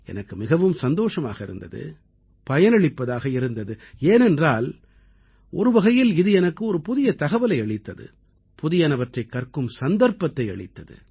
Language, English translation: Tamil, It was a very useful and pleasant experience for me, because in a way it became an opportunity for me to know and learn something new